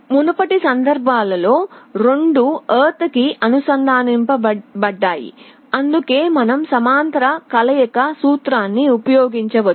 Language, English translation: Telugu, In the earlier cases both were connected to ground, that is why you could use the parallel combination formula